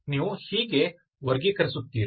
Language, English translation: Kannada, How do we classify them